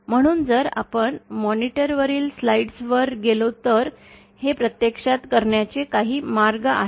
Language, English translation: Marathi, So, if we go to the slides on the monitor, these are some of the ways we can do it actually